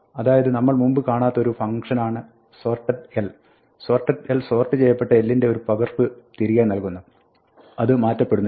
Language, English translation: Malayalam, So, sorted l is a function we have not seen so far; sorted l returns a sorted copy of l, it does not modify